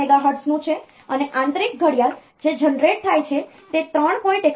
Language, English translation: Gujarati, 25 megahertz, and internal clock that is generated is 3